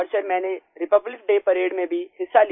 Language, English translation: Hindi, And Sir, I also participated in Republic Day Parade